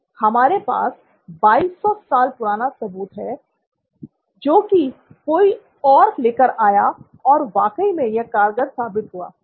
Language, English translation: Hindi, We have 2200 years ago evidence that somebody else had already come up with and this actually works